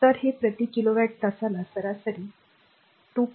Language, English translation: Marathi, 5 per kilowatt hour so, 500 into 2